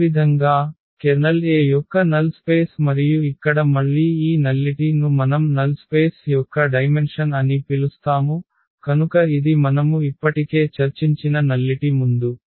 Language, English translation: Telugu, Similarly, the kernel A was null space of A and here again this nullity which we call the dimension of the null space, so that is the nullity which we have discussed already before